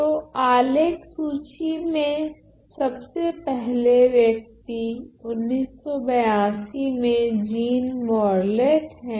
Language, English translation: Hindi, So, the first person in this list of record is in 82 by Jean Morlet